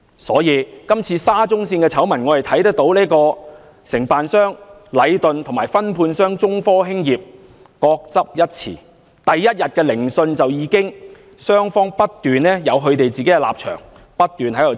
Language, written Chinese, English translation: Cantonese, 所以，我們從今次沙中線的醜聞可以看到，承辦商禮頓及分判商中科興業各執一詞，雙方在第一天聆訊就已經各有立場，不斷爭拗。, We can see from the SCL scandal that the contractor Leighton and the subcontractor China Technology each stuck to their version of the story and they have been in continuous disputes by upholding their own stance since the first day of the hearing